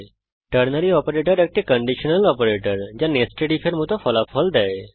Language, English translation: Bengali, Ternary Operator is a conditional operator providing results similar to nested if